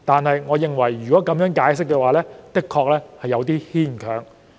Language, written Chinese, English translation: Cantonese, 可是，我認為這個解釋有點牽強。, I nonetheless find this explanation a bit far - fetched